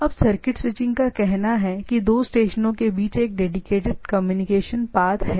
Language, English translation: Hindi, Now, circuit switching it says that there is a dedicated communication path between two station